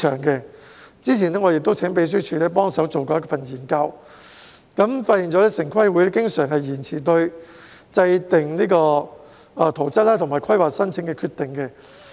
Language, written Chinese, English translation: Cantonese, 較早前，我請立法會秘書處幫忙進行研究，結果發現城市規劃委員會經常延遲對制訂圖則和規劃申請的決定。, Earlier on I have requested the Legislative Council Secretariat to conduct studies and found that the Town Planning Board TPB decisions on plan - making and planning applications quite often are deferrals